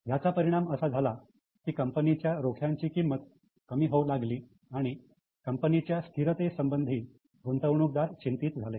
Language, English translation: Marathi, That means something is wrong with the company, the stock prices began to fall because now investors were worried about the stability of the company